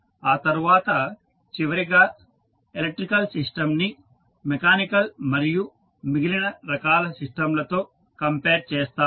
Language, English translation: Telugu, Then finally we will move on to comparison of electrical with the other mechanical as well as other types of systems